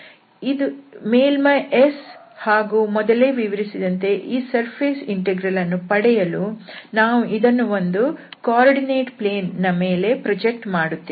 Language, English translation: Kannada, So then this is the surface S and as discussed before, to get this surface integral, we have to project it on one of the coordinate plane